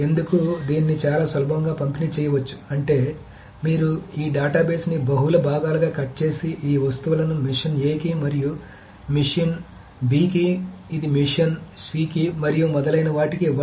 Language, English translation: Telugu, It said you cut this database into multiple portions and give these things to machine A and this to machine B, this to machine C and so on so forth